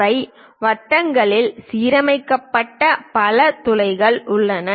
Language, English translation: Tamil, There are many holes they are aligned in circles